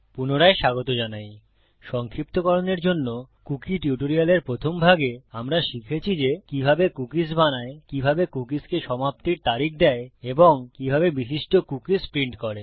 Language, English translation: Bengali, Just to summarise in the first part of the cookie tutorial, we learnt how to create cookies, how to give an expiry date to the cookie and how to print out specific cookies